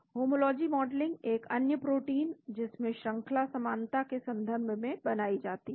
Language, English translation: Hindi, The homology modeling is created with respect to another protein which has sequence similarity